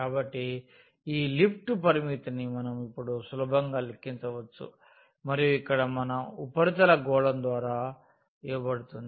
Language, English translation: Telugu, So, this the lift the limit we can easily now compute for this one and our surface here is given by the sphere